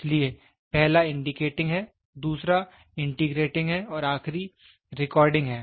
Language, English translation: Hindi, So, first is indicating, the other one is integrating and the last one is the recording